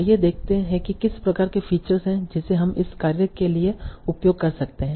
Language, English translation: Hindi, So let us see what are the kind of features we can use for this task